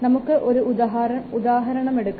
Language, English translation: Malayalam, We can take another example here